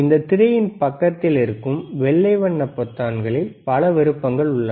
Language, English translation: Tamil, So, there are several options on the on the side of this screen which are white colour buttons, right